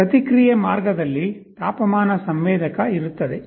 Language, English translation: Kannada, There will be a temperature sensor in the feedback path